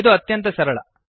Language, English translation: Kannada, This is simple